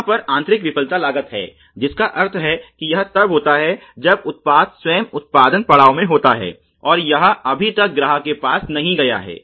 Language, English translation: Hindi, There is internal failure costs which means that this is related to when the product is in the production stage itself and it is not yet gone to the customer